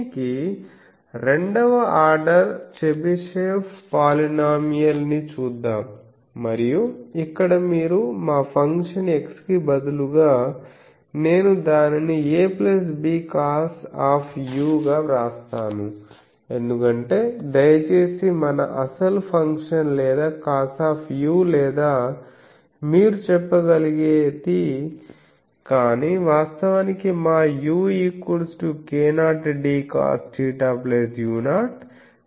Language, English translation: Telugu, So, let us see that to this let us see a 2nd order Chebyshev polynomial and here you see our function is instead of a x, I will write it as a plus b cos u please remember because our actual function is or cos u or something you can say, but actually our u is what that k 0 d cos theta plus u 0